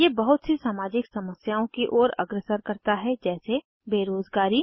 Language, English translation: Hindi, These lead to a lot of social problems like: Unemployment